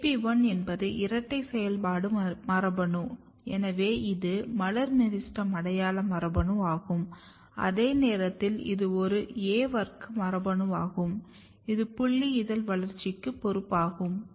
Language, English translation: Tamil, AP1 is dual function gene, so it is floral meristem identity gene at the same time it is also A class gene which is responsible for sepal development which you can see in the later slide